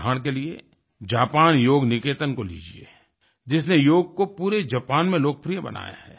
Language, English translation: Hindi, For example, take 'Japan Yoga Niketan', which has made Yoga popular throughout Japan